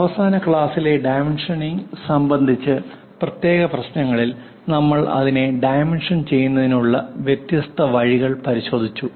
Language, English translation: Malayalam, On special issues on dimensioning in the last class we try to look at different ways of dimensioning it